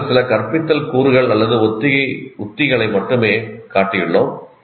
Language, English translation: Tamil, So we only just shown some of them, some instructional components or rehearsal strategies